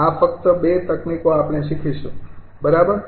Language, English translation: Gujarati, these two techniques only we will learn right